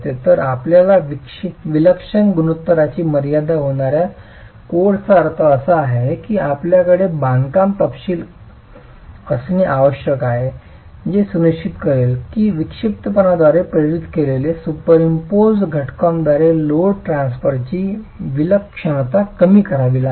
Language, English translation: Marathi, So, code giving you a limit on the eccentricity ratio implies that you have to have construction detailing that ensures that the eccentricity is induced by the eccentricity of the load transfer by superimposed elements has to be curtailed